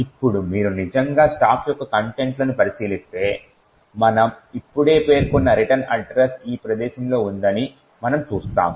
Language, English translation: Telugu, Now if you actually look at the contents of the stack we see that the return address what we just mentioned is at this location